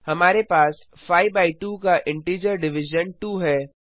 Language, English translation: Hindi, we have the integer Division of 5 by 2 is 2